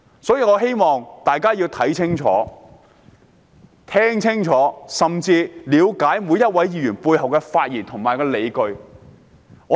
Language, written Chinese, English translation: Cantonese, 所以，我希望市民看清楚和聽清楚，以了解每位議員發言背後的理據。, As such I hope that the public will see clearly and listen carefully in order to understand the justifications of each Member in their speeches